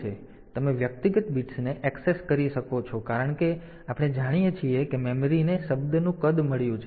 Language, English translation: Gujarati, So, you can access individual bits as we know that the memory has got a word size